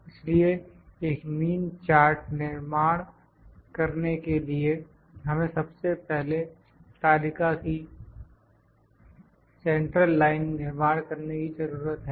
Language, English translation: Hindi, So, to construct a mean chart, we first need to construct a central line of the chart